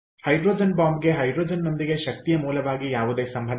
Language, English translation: Kannada, ok, hydrogen bomb has nothing to do with hydrogen as energy source